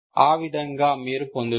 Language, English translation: Telugu, Like that you will get